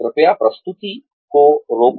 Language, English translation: Hindi, Please, pause the presentation